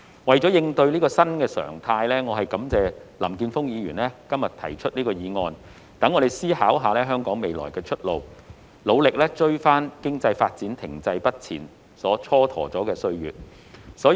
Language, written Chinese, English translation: Cantonese, 為了應對這個新常態，我感謝林健鋒議員今天提出這項議案，讓我們思考香港未來的出路，努力追回經濟發展停滯不前所蹉跎的歲月。, In order to respond to this new normal I thank Mr Jeffrey LAM for proposing this motion today to allow us to think about Hong Kongs future way out and to make up for the time lost when economic development remained stagnant